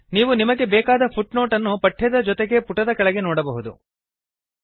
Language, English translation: Kannada, You can see the required footnote along with the text at the bottom of the page